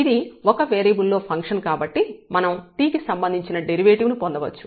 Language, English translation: Telugu, And for function of 1 variable we can get the derivative here with respect to t